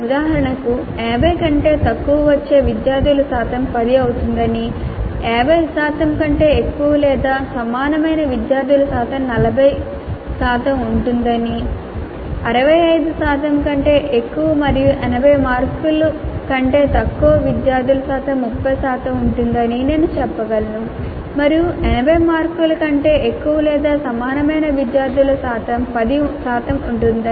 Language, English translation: Telugu, Percentage of students getting greater than 65 and less than 80 marks will be 30 percent and percentage of students getting greater than 80 marks will be 30 percent and percentage of students getting greater than 65 and less than 80 marks will be 30 percent and percentage of students getting more than 80 marks or more than equal to 80 marks will be 10 percent